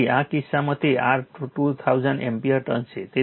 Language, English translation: Gujarati, So, in this case it is your 2000 ampere turns